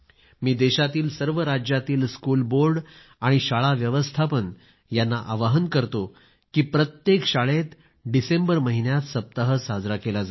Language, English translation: Marathi, I appeal to the school boards and management of all the states of the country that Fit India Week should be celebrated in every school, in the month of December